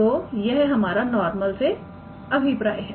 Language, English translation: Hindi, So, usually that is what we mean by normal